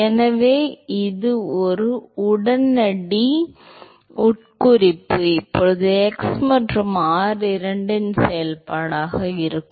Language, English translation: Tamil, So, that is an immediate implication now going to be a function of both x and r